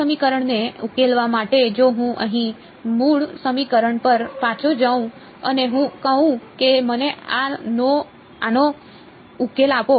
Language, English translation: Gujarati, In order for us to solve this equation if I just go back to the original equation over here and I say give me a solution to this right